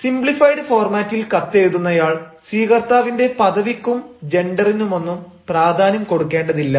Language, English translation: Malayalam, in simplified format, the writer is not aware of the status or the gender of the receiver